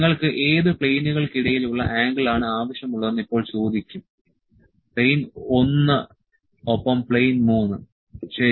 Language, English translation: Malayalam, Now it will ask between which entities you need the angle, plane one and plane three, ok